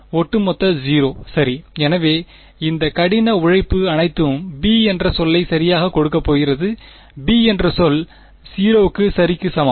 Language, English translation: Tamil, Overall 0 right; so, all of this hard work is going to give term b right, term b is equal to 0 ok